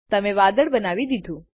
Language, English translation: Gujarati, You have drawn a cloud